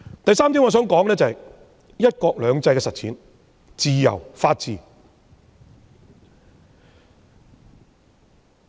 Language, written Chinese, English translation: Cantonese, 第三點，我想說說"一國兩制"的實踐、自由和法治。, Third I would like to talk about the implementation of one country two systems freedom and the rule of law